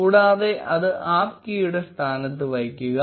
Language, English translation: Malayalam, And put it in place of app key